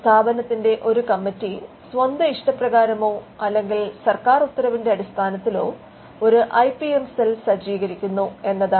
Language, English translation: Malayalam, The step 1 is to ensure that a committee of the institution either on its own action or due to a government mandate decides to setup the IPM cell